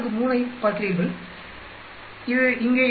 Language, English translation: Tamil, 543, it gives you here 2